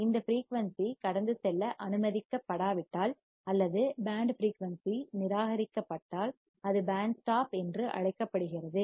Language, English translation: Tamil, If this frequency is not allowed to pass or if band frequency is rejected, then it is called stop band